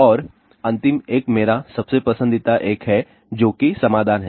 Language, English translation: Hindi, And, the last one is my most favorite one that is solutions ah